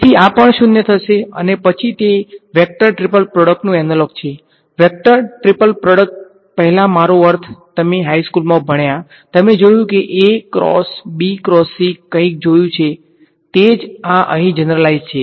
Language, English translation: Gujarati, So, this will also go to 0 and then there is the analog of a vector triple product; vector triple product earlier I mean in high school, you have seen A cross B cross C something like that right that same thing is generalized over here